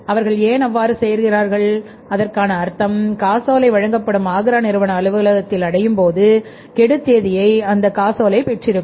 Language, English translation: Tamil, So, it means why they are doing so that the check will be issued and will be reaching in the Agra firm's office on the due date